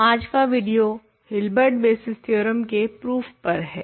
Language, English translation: Hindi, So, today’s video is dedicated to proving Hilbert basis theorem